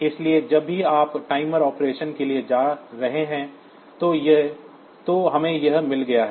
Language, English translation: Hindi, So, we have got this whenever you are going for the timer operation